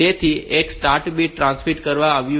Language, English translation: Gujarati, So, one has been transmitted the start bit has been transmitted